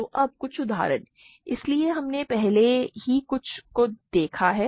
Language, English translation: Hindi, So, now, some examples; so, we already looked at some before